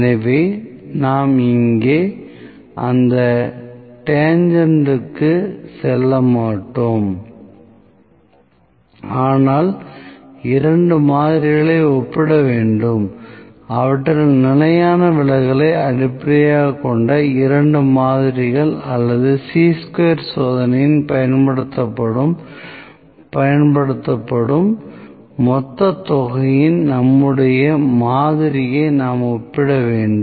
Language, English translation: Tamil, So, we will not move to that tangent here, but just we need to compare two samples, two samples based upon their standard deviation or we need to compare our sample to the population Chi square test is used